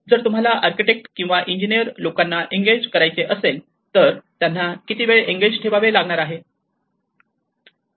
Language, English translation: Marathi, If you have to engage an architect or an engineer, how long one can engage